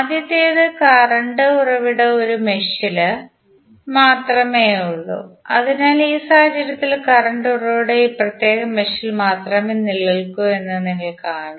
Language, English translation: Malayalam, First one is that when current source exist only in one mesh, so in this particular case you will see that the current source exist only in this particular mesh